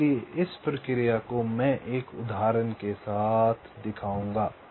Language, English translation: Hindi, so the process i will be showing with an example